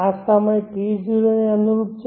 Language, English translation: Gujarati, this is the time corresponding to T